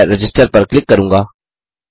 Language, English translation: Hindi, I will click Register